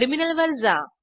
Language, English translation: Marathi, Open the terminal